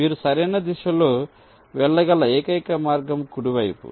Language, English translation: Telugu, the only way in which you can move in the right direction is towards right